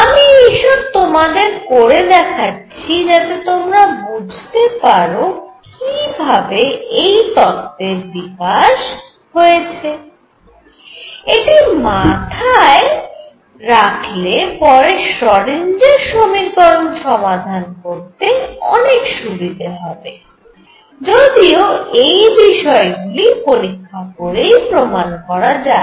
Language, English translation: Bengali, So, I am doing all this is to tell you how things progress and these are once we have this in our mind, learning what happens later when we solve the Schrödinger equation becomes very easy, but these are things that can be checked experimentally